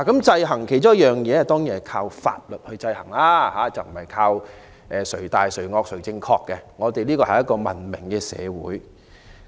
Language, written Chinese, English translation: Cantonese, 制衡的其中一種方式當然是以法律制衡，而非靠"誰大誰惡誰正確"，因為香港是文明社會。, One of the ways to exercise checks and balances is certainly the statutory approach . There is no such thing as letting the most difficult boss have the final say given that Hong Kong is a civilized society